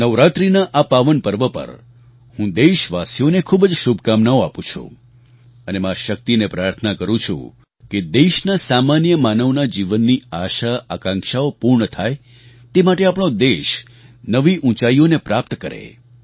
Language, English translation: Gujarati, On this pious occasion of Navratri, I convey my best wishes to our countrymen and pray to Ma Shakti to let our country attain newer heights so that the desires and expectations of all our countrymen get fulfilled